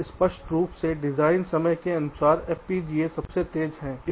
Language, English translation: Hindi, and obviously design time wise, fpgas is the fastest